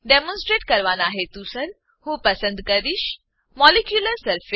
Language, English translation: Gujarati, For demonstration purpose, I will select Molecular surface